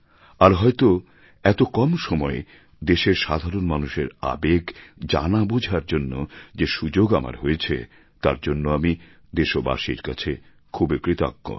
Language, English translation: Bengali, I am thankful to our countrymen for having provided me an opportunity to understand the feelings of the common man